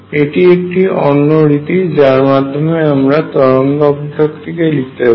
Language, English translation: Bengali, This is another way I can write the wave function